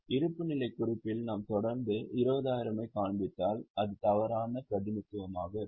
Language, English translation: Tamil, If in the balance sheet we continue to show 20,000, it will be a wrong representation